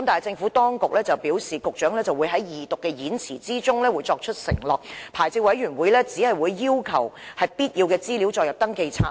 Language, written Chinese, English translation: Cantonese, 政府當局表示，局長會在《條例草案》恢復二讀辯論的演辭中承諾，發牌委員會只會要求將必要的資料載入登記冊。, According to the Administration the Secretary will undertake in his speech for the resumption of the Second Reading debate on the Bill that the Licensing Board will only require the inclusion of necessary information in the registers